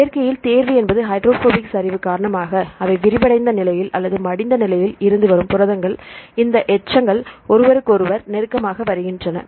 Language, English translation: Tamil, Because in nature, selection is in such a way that the proteins from the unfolded state or folded state they because of hydrophobic collapse right these residues come close to each other